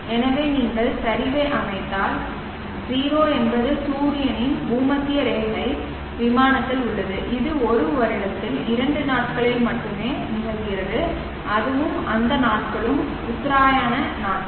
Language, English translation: Tamil, So if you set declination is 0 which means the sun is along the equatorial plane and this occurs only on two days in a year and that and those days are the equinoxes days